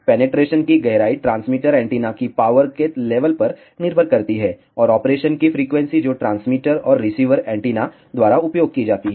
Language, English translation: Hindi, The depth of penetration depends on the power level of the transmitter antenna, and the frequency of operation which is used by the transmitter and receiver antenna